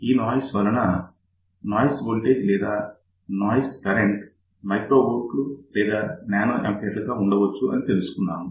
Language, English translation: Telugu, And we had seen that, because of those noises the noise voltage or noise current could be of the order of microvolt or nanoampere